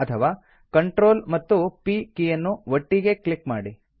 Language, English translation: Kannada, Alternately, we can press CTRL and P keys together